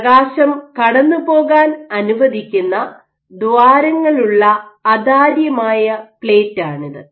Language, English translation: Malayalam, So, this is an opaque plate with holes that allow light to pass